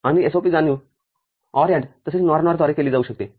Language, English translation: Marathi, And POS realization can be done through OR AND as well as NOR NOR